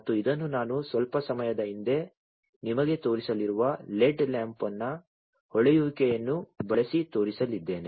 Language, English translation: Kannada, And this I am going to show using the glowing of the led lamp, that I have shown you a while back